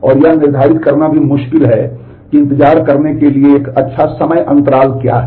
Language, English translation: Hindi, And it is also difficult to determine what is a good time interval to wait